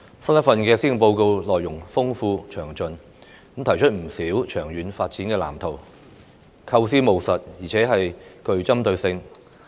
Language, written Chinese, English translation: Cantonese, 新一份施政報告內容豐富詳盡，提出不少長遠發展的藍圖，構思務實，而且具針對性。, This years Policy Address is rich and comprehensive in content with a number of long - term development blueprints . The ideas put forward are practical and target - oriented